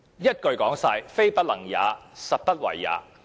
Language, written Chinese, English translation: Cantonese, 一言以蔽之，"非不能也，實不為也"。, In a word That is a case of not doing it not a case of not being able to do it